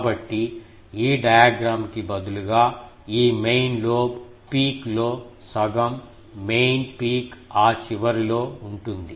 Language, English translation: Telugu, So that means, instead of this diagram, the main peak that will be half of this main lobe peak will be here at that end